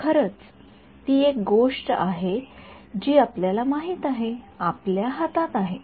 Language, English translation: Marathi, So, that is actually something that is you know in our hands